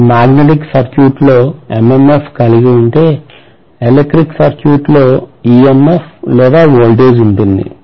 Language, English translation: Telugu, So if I have MMF in the magnetic circuit, in the electric circuit, I have EMF or voltage